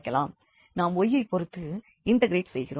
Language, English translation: Tamil, So, we are integrating partially with respect to y